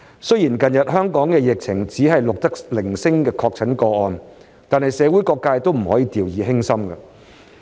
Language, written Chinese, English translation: Cantonese, 雖然近日香港只是錄得零星確診個案，但社會各界都不能掉以輕心。, Although only sporadic confirmed cases were recorded in Hong Kong recently the community cannot afford to let down its guard